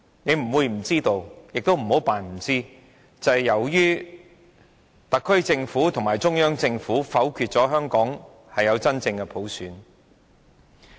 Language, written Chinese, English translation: Cantonese, 他不會不知道，亦不要假裝不知道，佔中發生是由於特區政府和中央政府否決了香港有真正的普選。, He should have known and should not pretend not to know that it was the ruling out of genuine universal suffrage in Hong Kong by the SAR Government and the Central Government that triggered the Occupy Central movement